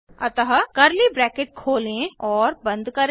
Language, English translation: Hindi, So open and close curly brackets